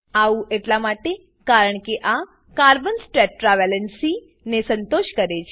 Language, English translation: Gujarati, This is because it satisfies Carbons tetra valency